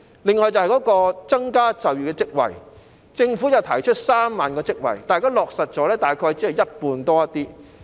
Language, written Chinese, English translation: Cantonese, 另外，在增加就業職位方面，政府提出創造3萬個職位，但現已落實的數字只是稍為多於一半。, Besides in respect of increasing jobs the Government has proposed the creation of 30 000 jobs but only a little more than half of these jobs have been created so far